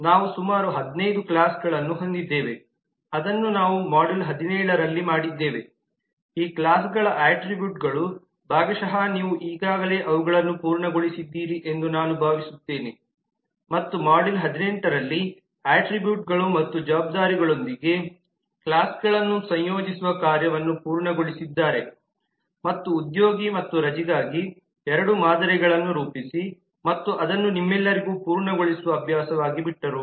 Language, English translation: Kannada, we have identified the attributes for this classes partly you have completed them already i hope and in module 18 we have completed that task of associating the classes with attributes and responsibilities and worked out two samples for employee and leave and left it as an exercise to complete for you all